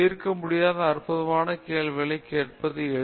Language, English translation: Tamil, It is easy to ask questions that are trivial to solve